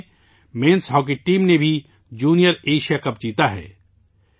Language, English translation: Urdu, This month itself our Men's Hockey Team has also won the Junior Asia Cup